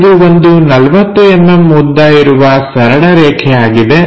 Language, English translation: Kannada, Its a straight line of 40 mm length